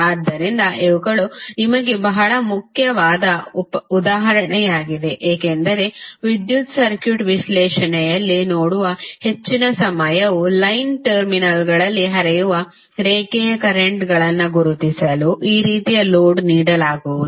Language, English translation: Kannada, So, these would be very important example for you because most of the time you will see in the electrical circuit analysis you would be given these kind of load to identify the line currents which are flowing across the line terminals